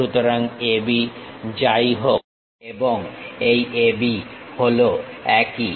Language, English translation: Bengali, So, whatever AB and this AB, one and the same